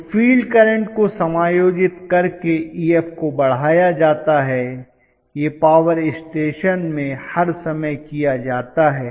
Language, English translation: Hindi, So, increasing Ef will be done by adjusting the field current, this is done all the time in the power stations